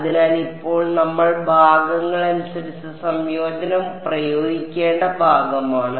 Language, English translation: Malayalam, So, now is the part where we will have to apply integration by parts